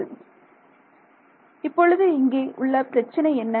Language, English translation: Tamil, So, what is the problem now over here